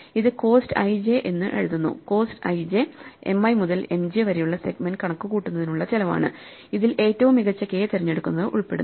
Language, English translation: Malayalam, This quantity we will write as cost i j cost i j is a cost of computing the segment from M i to M j which involves picking the best k